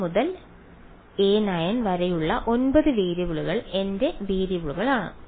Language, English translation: Malayalam, 9 variables a 1 to a 9 are my variables